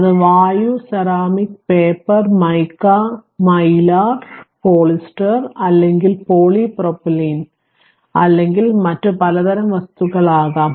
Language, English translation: Malayalam, It can be air, ceramic, paper, mica, Mylar, polyester, or polypropylene, or a variety of other materials right